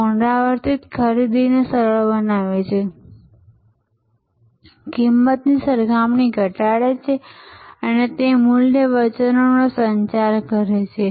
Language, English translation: Gujarati, It makes repeat purchase easier, reduces price comparison and it communicates the value, the promise